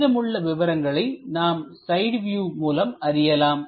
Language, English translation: Tamil, The remaining information we will get it from the side view